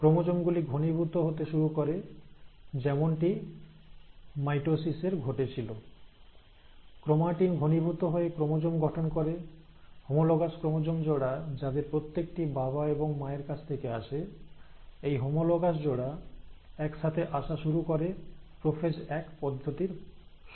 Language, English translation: Bengali, So the chromosomes will start now condensing, as it happened in mitosis, the chromatin will condense into chromosomes, and the homologous chromosomes, remember one each coming from mother and one from the father, the pair, the homologous pairs will start coming together during the process of prophase one